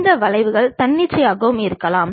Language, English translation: Tamil, These curves can be arbitrary also